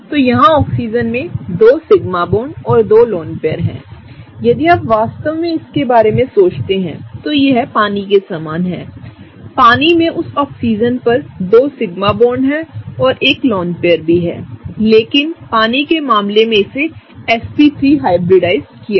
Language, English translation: Hindi, So, the Oxygen here has 2 sigma bonds and 2 lone pairs; if you really think about it this is very similar to that of water; water also has 2 sigma bonds on that Oxygen and also has a lone pair, but in the case of water it was sp3 hybridized